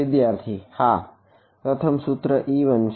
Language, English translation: Gujarati, Yeah, the first equation is e 1